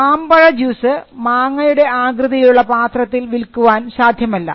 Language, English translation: Malayalam, So, you cannot sell mango juice in a mango shaped container